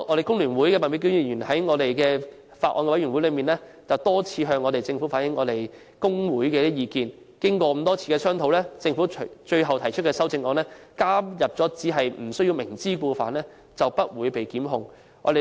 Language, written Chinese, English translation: Cantonese, 工聯會麥美娟議員在法案委員會中，曾多次向政府反映工會的意見，經過多次商討，政府最後提出修正案，加入只要不是"明知故犯"，便不會被檢控。, Ms Alice MAK from FTU repeatedly relayed trade unions opinions to the Government . After various rounds of deliberation the Government at last proposed an amendment that as long as the offence was not committed intentionally workers will not be prosecuted